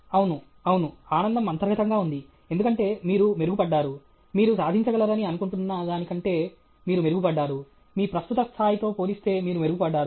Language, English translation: Telugu, Yes, yes, the joy intrinsic means because you have improved, you have improved over what you are thinking you can achieve; you have improved compared to your present level